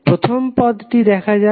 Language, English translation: Bengali, Let us see the first term